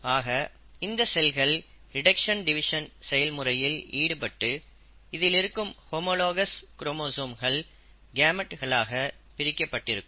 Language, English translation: Tamil, So, these cells will undergo the process of reduction division and the homologous chromosomes will get segregated into the gametes